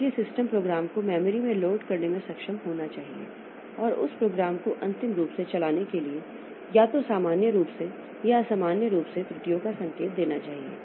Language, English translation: Hindi, So, the system must be able to load a program into memory and to run that program end execution either normally or abnormally indicating error